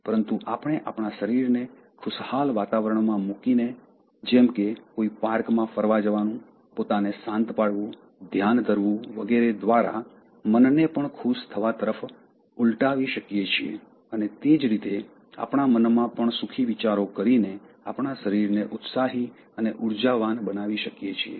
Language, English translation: Gujarati, But we can also reverse the mind to feel happy by putting our body in pleasing environment, such as going for a walk in a park, calming ourselves, meditating, and at the same time, we can also have happy thoughts in our mind and then make our body feel enthusiastic and energetic, both are possible